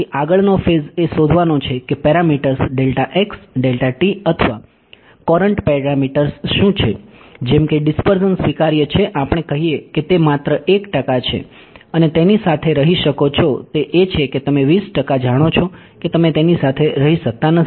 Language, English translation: Gujarati, Then the next phase is in finding out what are the parameters delta x delta t or Courant parameters such that the dispersion is acceptable let us say it is only 1 percent you can live with that it is its you know 20 percent you cannot live with that